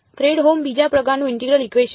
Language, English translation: Gujarati, Fredholm integral equation of the second kind